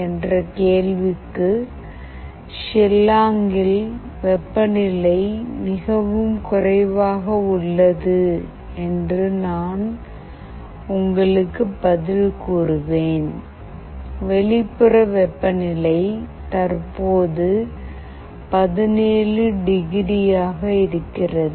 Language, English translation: Tamil, Let me tell you the temperature out here in Shillong is quite low; the outside temperature currently is 17 degrees